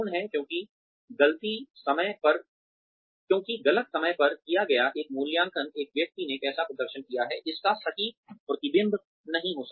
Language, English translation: Hindi, Because the, an appraisal done at the wrong time, may not be an accurate reflection, of how a person has performed